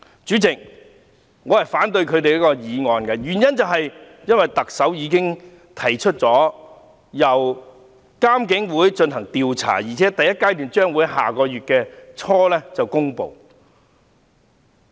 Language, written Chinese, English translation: Cantonese, 主席，我反對他們的議案，原因是特首已提出由獨立監察警方處理投訴委員會進行調查，而且第一階段報告將於下月初公布。, President I oppose the motions proposed by these Members . The reason is that the Chief Executive has proposed to conduct an inquiry by the Independent Police Complaints Council which will publish its first - phase report in the beginning of next month